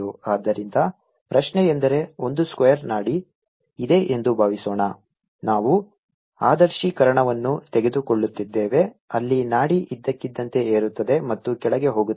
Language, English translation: Kannada, so the question is: suppose there's a square pulse, we are taking idealization where the pulse suddenly rises, becomes a constant and goes down